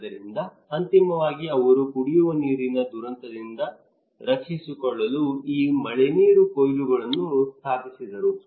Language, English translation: Kannada, So finally he installed these rainwater harvesting to protect himself from drinking water disaster